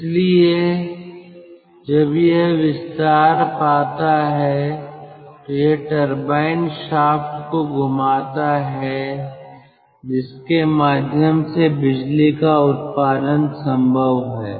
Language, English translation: Hindi, so when it expands it rotates the turbine shaft through which generation of electricity is possible